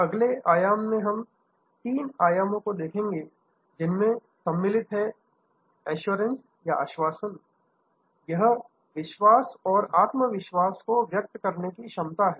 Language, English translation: Hindi, The next dimensions that we will look at the next three dimensions are assurance; that is the ability to convey trust and confidence